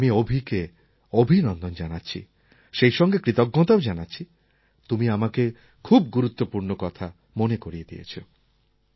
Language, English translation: Bengali, I greet Abhi and thank him for reminding me of this very important thing